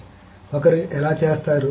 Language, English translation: Telugu, So how does one do searching